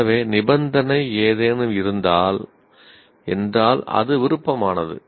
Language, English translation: Tamil, So, condition if any means it is optional